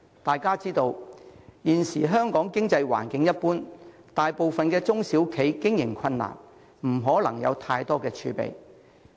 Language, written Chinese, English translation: Cantonese, 眾所周知，現時香港經濟環境一般，大部分中小企經營困難，不可能有太多儲備。, As we all know the present economic environment in Hong Kong is just so - so . Most of the SMEs have difficulties in carrying on their business and hardly hold much reserve